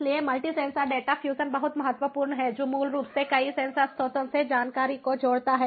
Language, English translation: Hindi, so multi sensor data fusion is very important, which basically combines information from multiple sensor sources